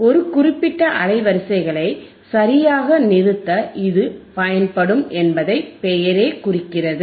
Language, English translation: Tamil, The name itself indicates that it will be used to stop a particular band of frequencies right